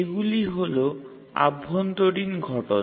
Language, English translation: Bengali, So those are the internal events